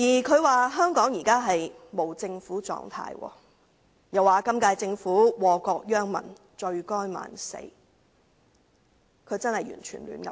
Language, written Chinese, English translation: Cantonese, 他說香港現時處於無政府狀態，又說本屆政府禍國殃民，罪該萬死，他真的完全胡說八道。, He said that Hong Kong was now in a state of anarchy . He added that the current - term Government which had wrecked the country and ruined the people warranted the harshest punishment . What he said is utter nonsense